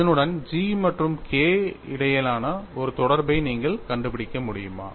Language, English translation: Tamil, Can you find out an interrelationship between G and K with this